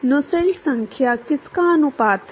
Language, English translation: Hindi, Nusselt number is a ratio of